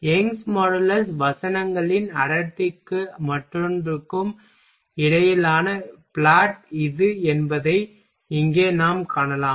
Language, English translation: Tamil, Here what we can see that this is the plot between Young’s modulus verses density and the other